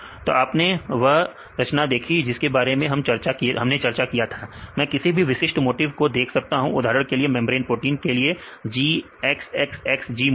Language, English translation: Hindi, So, you can see the composition that we discussed earlier pair preference I can see any specific motifs for example, there is a motif G X X X G motif, for membrane proteins